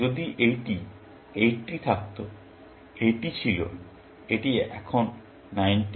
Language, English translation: Bengali, So, if this was 80; this was, this is on 90